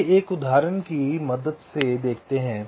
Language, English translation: Hindi, lets look at a very specific example